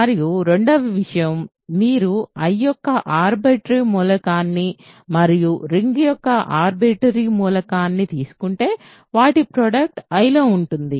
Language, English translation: Telugu, And, ii if you take an arbitrary element of I and an arbitrary element of the ring the product is also in I, ok